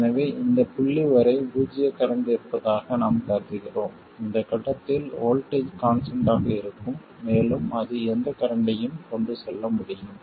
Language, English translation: Tamil, So we assume that there is zero current up to this point and at this point the voltage will be constant and it can carry any current